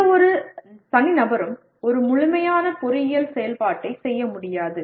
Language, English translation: Tamil, No single person will ever be able to perform a complete engineering activity